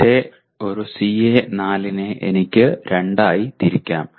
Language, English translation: Malayalam, I can also break the other one CO4 into two